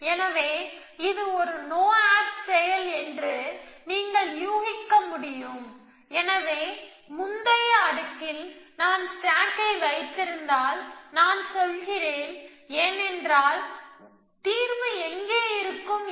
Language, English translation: Tamil, So, as you can guess this is a no op action essentially, so in a previous layer if I have stack, and I am I am saying that because I know where the solution is a last action must be stack A on B